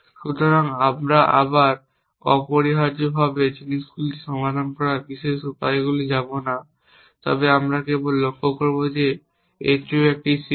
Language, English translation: Bengali, So, again we will not going to the special ways of solving things essentially but we just observe that that is also a CSP